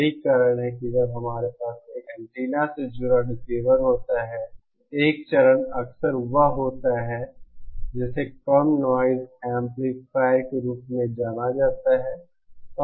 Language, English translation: Hindi, That is why, when we have a receiver connected to an antenna, the 1st stage is often what is known as the low noise amplifier